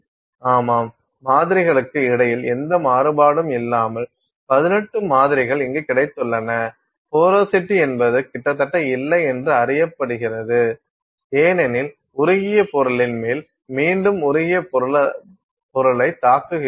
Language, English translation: Tamil, Yes, you have got 18 samples here with virtually no variation between samples, porosity is also known a virtually non existent because again you are hitting molten material on top of molten material